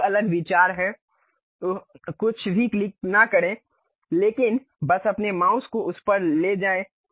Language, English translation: Hindi, There are different views uh do not click anything, but just move your mouse onto that